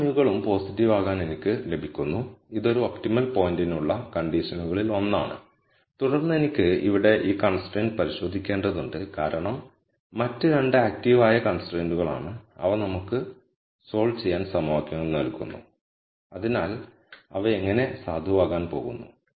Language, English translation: Malayalam, I get all mus to be positive which is also one of the conditions for an optimum point and then I have to only verify this constraint here because other 2 are active constraints and they are providing equations for us to solve so they are like they are going to be valid